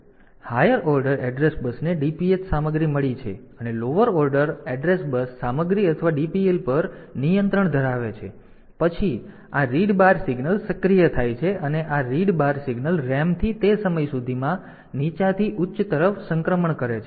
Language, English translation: Gujarati, So, high order address bus has got the content of DPH lower address bus has the control of the content or DPL and then this read bar signal is activated when this read bar signal makes a transition from low to high by that time from the ram the external ram the data should be available on to the data bus